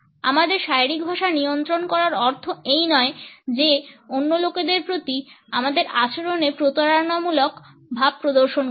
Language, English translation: Bengali, Controlling our body language does not mean that we have to learn to be deceptive in our behaviour towards other people